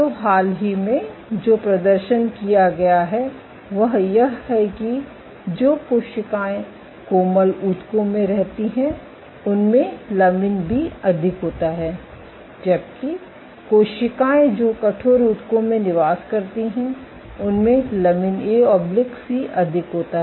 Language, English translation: Hindi, So, what has been recently demonstrated is that cells which reside in soft tissues, contain more of lamin B, while cells which reside in stiff tissues they contain more of lamin A/C